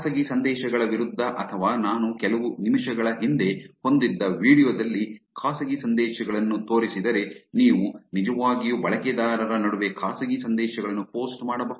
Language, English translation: Kannada, If in the private messages against or this in the video that I had a few minutes before, which showed private messages also you can actually post private messages between the users